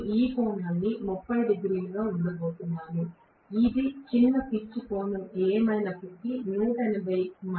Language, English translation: Telugu, I am going to have this angle to be 30 degrees, which is corresponding to 180 minus whatever is the short pitch angle